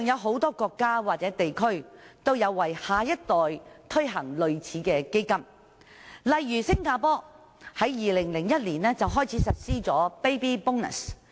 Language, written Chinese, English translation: Cantonese, 很多國家或地區現時也有為下一代推行類似的基金，例如新加坡自2001年開始實施的 Baby Bonus。, Similar funds are launched in many countries or regions for the next generation . For instance Baby Bonus came into operation in Singapore back in 2001 . This scheme consists of two components namely a Cash Gift and joint savings